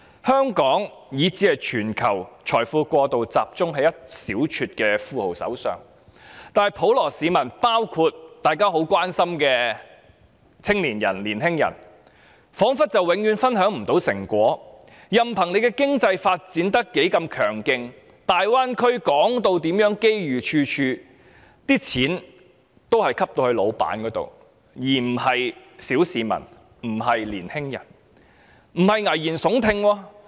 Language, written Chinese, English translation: Cantonese, 香港以至全球的財富過度集中於一小撮富翁手上，普羅市民——包括大家很關心的青年人——卻彷彿永遠分享不到成果，任憑經濟發展有多強勁，大灣區被說成機遇處處，但錢也只落在老闆手上，而非落在小市民，也不是青年人手上。, In Hong Kong and the rest of the world wealth is unduly concentrated in a handful of billionaires . It seems that the general public including young people whom we are very concerned about can never share the fruits of economic growth . However robust our economic development is and however abundant opportunities are available in the Guangdong - Hong Kong - Macao Greater Bay Area as claimed money only goes into the pockets of the bosses but not the general public or young people